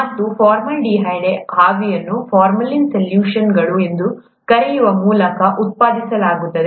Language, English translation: Kannada, And the formaldehyde vapour is generated from, what are called formalin solutions